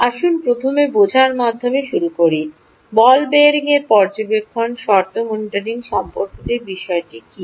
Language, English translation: Bengali, let us start by first understanding what is the issue with respect to monitoring condition monitoring of ball bearings